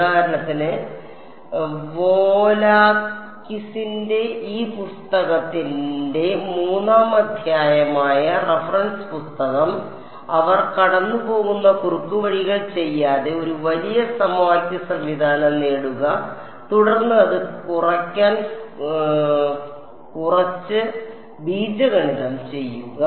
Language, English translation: Malayalam, And the reference book for example, which is chapter 3 of this book by Volakis, they do not do the shortcut they go through get a larger system of equations then do some algebra to reduce it further